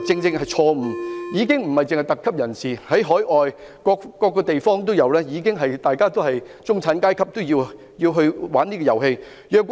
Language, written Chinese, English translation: Cantonese, 高爾夫球已經不只是特級人士的遊戲，在海外各個地方，已經有中產階級玩這遊戲。, Golf is no longer the game for the privileged class . In many places overseas many people in the middle class are playing golf